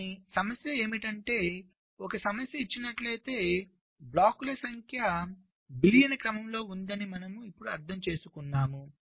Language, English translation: Telugu, but the problem is that, given a problem, now you understand that the number of blocks are in the order of billions